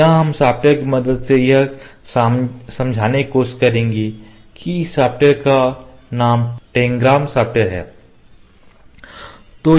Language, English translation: Hindi, Or we will try to explain it using the help of the software that the name of the software is Tangram software